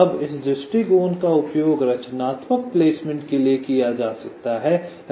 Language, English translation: Hindi, now this approach can be used for constructive placement